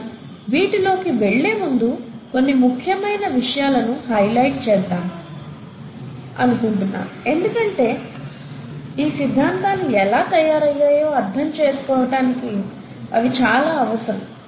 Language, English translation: Telugu, But before I get into the theories and evidences of life, I want to highlight certain things, which are very important to understand how these theories were built up